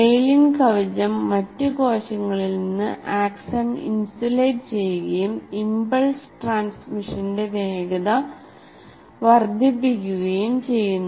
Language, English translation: Malayalam, The myelin sheath insulates the axon from the other cells and increases the speed of impulse transmission